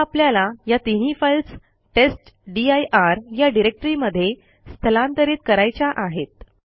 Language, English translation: Marathi, Now we want to move this three files to a directory called testdir